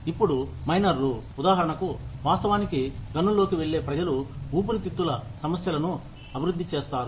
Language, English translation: Telugu, People, who actually go into the mines, develop lung problems